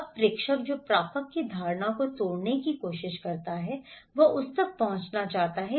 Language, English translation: Hindi, Now, the senders who try to break the perceptions of the receiver he wants to reach him